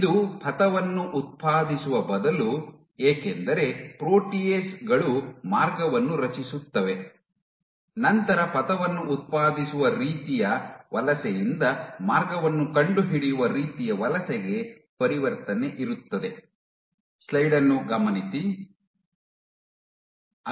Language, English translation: Kannada, This is instead of path generating because proteases create path you have transition from past generating kind of migration, to path finding kind of migration